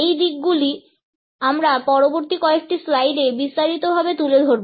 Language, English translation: Bengali, These aspects we would take up in detail in the next few slides